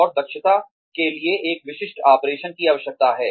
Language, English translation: Hindi, And, one specific operation is requirement for efficiency